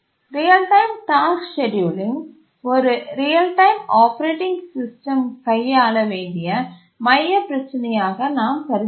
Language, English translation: Tamil, We considered real time task scheduling as the central problem that a real time operating system needs to handle